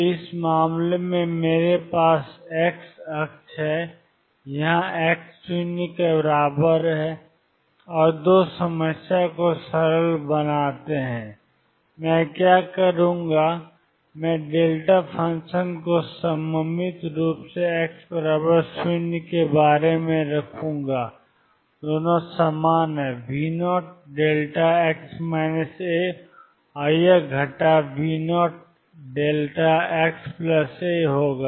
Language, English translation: Hindi, So, in this case, I have the x axis, this is x equal 0 and 2 make the problem simple, what I will do is, I will put the delta function symmetrically about x equals 0 and both are the same V naught delta x minus a and this will minus V 0 delta x plus A